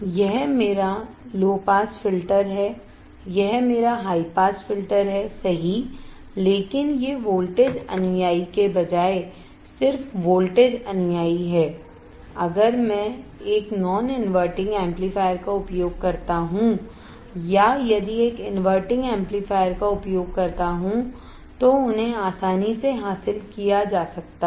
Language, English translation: Hindi, This is my low pass filter, this is my high pass filter right, but these are just voltage follower instead of voltage follower, if I use a non inverting amplifier or if use an inverting amplifier, they can be easily tuned by gain